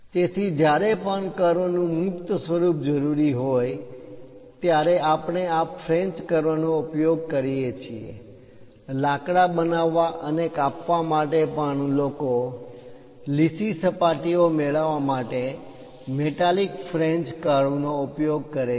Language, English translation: Gujarati, So, whenever a free form of curve is required, we use these French curves; even for wood making and cutting, people use metallic French curves to get nice finish